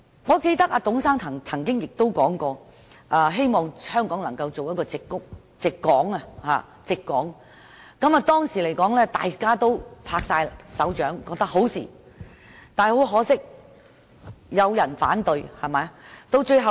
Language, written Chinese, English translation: Cantonese, 我記得董先生曾經說過，希望香港能發展成為"矽港"，當時大家都拍爛手掌，但可惜亦有人反對。, I remember Mr TUNG once talked about his hope of developing Hong Kong into a Silicon Port . At the time such an idea got a lot of applauses but there were also people who raised objection